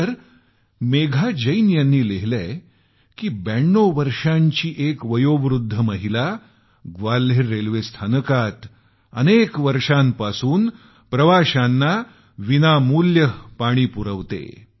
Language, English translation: Marathi, Whereas Megha Jain has mentioned that a 92 year old woman has been offering free drinking water to passengers at Gwalior Railway Station